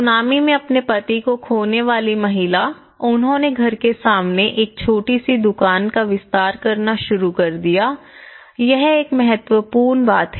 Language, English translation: Hindi, Woman, who lost their husbands in the tsunami, they started expanding as a shop having a small shop in front of the house, this is one of the important thing